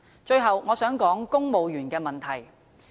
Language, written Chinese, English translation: Cantonese, 最後，我想指出公務員的問題。, Last but not least I would like to talk about the civil service